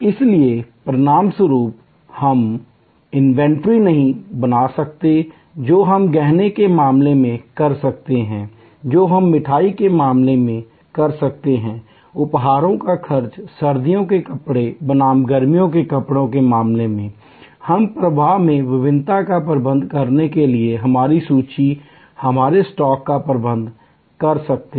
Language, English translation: Hindi, So, as a result we cannot create inventory, which we can do in case of jewelry, which we can do in case of sweets, incase of gifts, in case of winter clothes versus summer clothes, we can manage our inventory, our stock to manage the variation in the flow